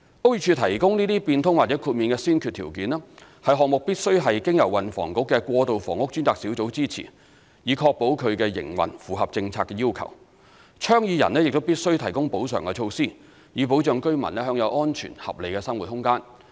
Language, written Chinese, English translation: Cantonese, 屋宇署提供該些變通或豁免的先決條件，是項目必須是經由運輸及房屋局的過渡房屋專責小組支持，以確保其營運符合政策要求，倡議人亦必須提供補償措施，以保障居民享有安全和合理的生活空間。, A prerequisite for modification or exemption on the application of BO is that the project must be supported by the Task Force on Transitional Housing under the Transport and Housing Bureau in order to ensure that its operation complies with the policy requirements . That said project proponents must take compensatory measures to provide residents with a safe and reasonable living space